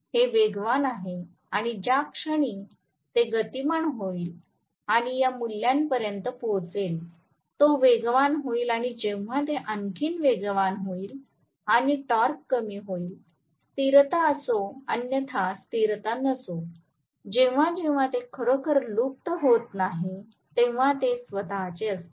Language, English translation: Marathi, It is accelerating and the moment it accelerates and reaches this value it will accelerate further and when it accelerates further and the torque is decreasing, so when it is not really fading into it is own self that is where stability is otherwise there will not be stability